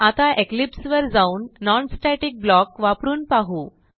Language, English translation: Marathi, Now, let us switch to Eclipse and try to use a non static block